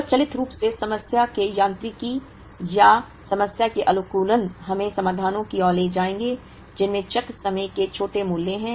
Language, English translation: Hindi, Automatically the mechanics of the problem or optimization of the problem will lead us to solutions, which have smaller values of cycle times